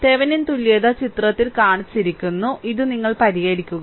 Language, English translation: Malayalam, So, Thevenin equivalent shown in figure; so, this is you please solve it right